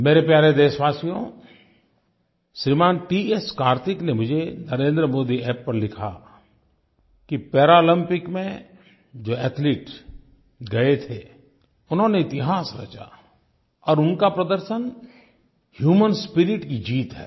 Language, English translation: Hindi, Kartik has written on NarendraModiApp that our athletes who participated in the Paralympics have created a new history and their performance is a triumph of the human spirit